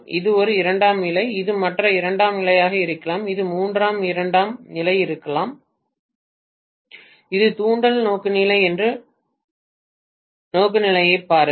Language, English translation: Tamil, This is one secondary, this may be the other secondary, this may be the third secondary please look at the orientation this is inductive orientation